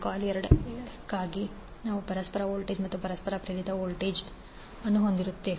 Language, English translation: Kannada, So for coil two, we will have the mutual voltage and a mutual induced voltage M 12 di 2 by dt